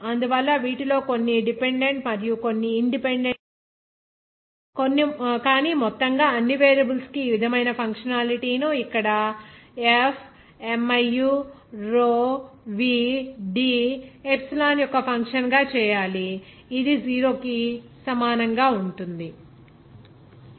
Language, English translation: Telugu, So out of which you can say that some will be dependent and some will be independent but altogether all the variables to be noted down and you have to make the functionality like this here function of f, miu, row, v, D, epsilon that will be equal to 0